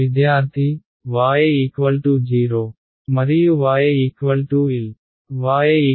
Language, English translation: Telugu, y equal to 0 and y equal to L